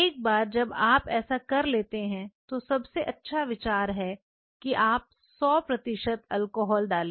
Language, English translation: Hindi, Once you have done this then the best idea is put 100 percent alcohol drain the whole water put 100 percent alcohol in it